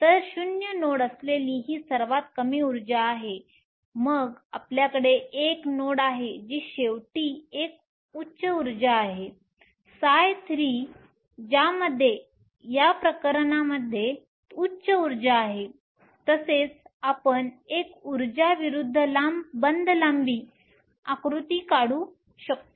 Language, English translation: Marathi, So, this is the lowest energy with 0 nodes then you have 1 node which is a higher energy finally, psi 3 that has the highest energy for this case also we can draw an energy versus bond length diagram